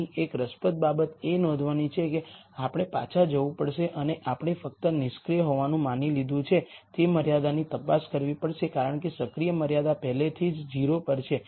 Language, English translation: Gujarati, An interesting thing to note here is we have to go back and check only the constraints that we have as sumed to be inactive because the active constraint is already at 0